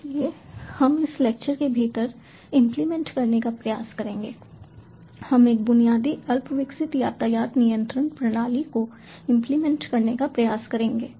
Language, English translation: Hindi, so we will try to implement within this lecture we will try to implement a basic, rudimentary traffic control system